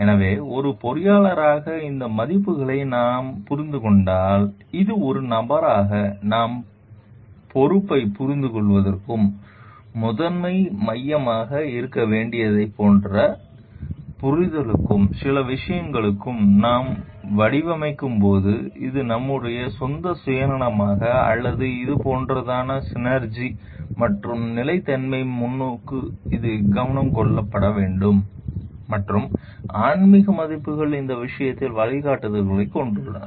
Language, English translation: Tamil, So, as an engineer, if we understand this values, it helps us for becoming more dutiful in our profession understanding our responsibility as a person, understanding like what should be the primary focus when we are designing for certain things it is our own self interest or is it the like the synergy and the sustainability perspective which needs to be taken care of and the spiritual values has gives guidance in this regard also